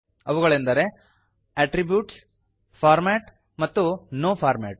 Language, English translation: Kannada, They are Attributes, Format and No Format